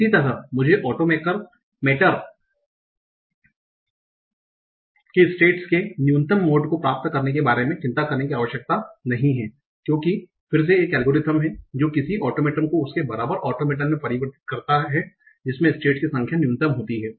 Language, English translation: Hindi, Similarly I don't have to worry about getting the minimum number of states of the automator because again there is an algorithm that converts any automaton into the equivalent automaton that has the minimum number of states